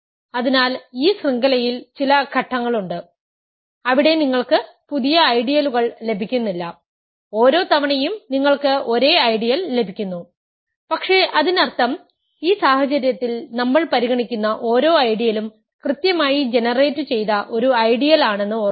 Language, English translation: Malayalam, So, there is some stage in this chain that you do not get a you stop getting new ideals, you keep getting the same ideal every time, but; that means, remember each ideal that we are considering in this case is a finitely generated ideal